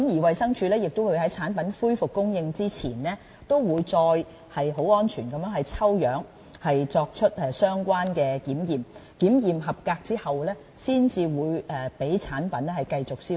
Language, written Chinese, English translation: Cantonese, 衞生署亦會在產品恢復供應之前再次進行抽樣，作出相關的檢驗，合格後才會讓產品繼續銷售。, DH will also study the investigation report of the manufacturer before considering whether the product will be allowed to be imported again . Before resuming the sale of the product DH will conduct sampling checks to make sure that it is up to standard